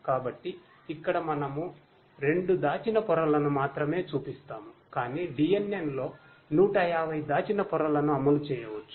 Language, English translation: Telugu, So, here we show only 2 layers, hidden layers, but you know in a DNN up to 150 hidden layers can be implemented